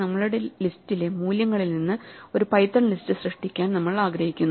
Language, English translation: Malayalam, So, we want to create a python list from the values in our list